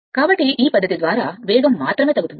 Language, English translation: Telugu, So, by this method only speed can be decrease right